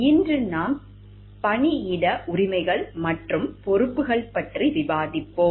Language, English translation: Tamil, Today we will be discussing about workplace rights and responsibilities